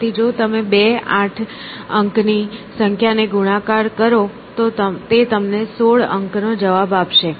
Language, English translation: Gujarati, So, if you multiply 2, 8 digit numbers it would give you 16 digit answer